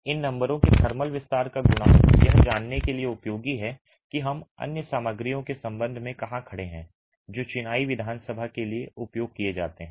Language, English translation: Hindi, The coefficiental thermal expansion, these numbers are useful to know where we stand with respect to other materials that are used to create the masonry assembly